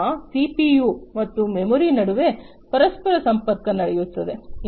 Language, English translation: Kannada, So, basically the interaction happens between the CPU to the memory